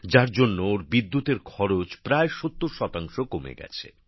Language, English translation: Bengali, Due to this, their expenditure on electricity has reduced by about 70 percent